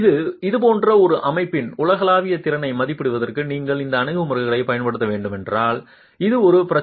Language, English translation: Tamil, It is a problem if you were to use those approaches to estimate the global capacity of a system like this